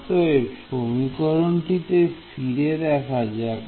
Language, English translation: Bengali, So, let us look back at our equation over here